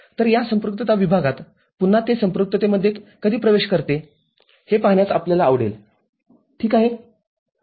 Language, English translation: Marathi, So, in this saturation region again we would be interested to see when it enters saturation ok